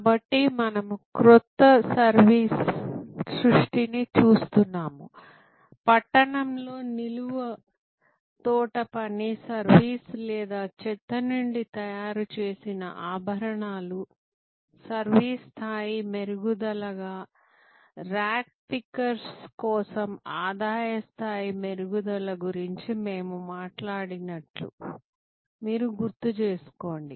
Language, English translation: Telugu, So, we were looking at new service creation, like if you recall we talked about that vertical urban gardening service or jewelry from trash, creation as a service level enhancement, income level enhancement for rag pickers